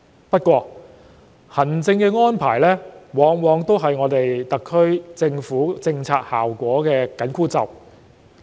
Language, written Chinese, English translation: Cantonese, 不過，行政安排往往是特區政府政策效果的緊箍咒。, However administrative arrangements are often the magic spells undermining the effects of the SAR Governments policies